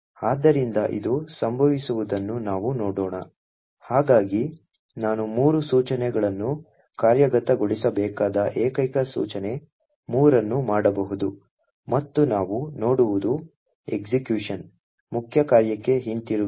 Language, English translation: Kannada, So, let us see this happening, so I can do single instruction 3 which should execute 3 instructions and what we see is that the execution has gone back to the main function